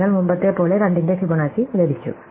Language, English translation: Malayalam, So, with this as before we have got Fibonacci of 2